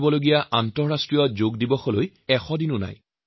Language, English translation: Assamese, Less than a hundred days are now left for the International Yoga Day on 21st June